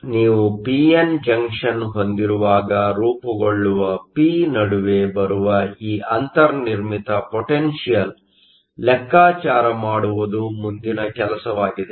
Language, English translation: Kannada, So, the next thing is to do is to calculate this built in potential that comes between the p that forms when you have a p n junction